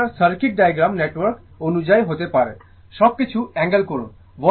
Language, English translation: Bengali, It may be in according to your circuit diagram network, angle everything right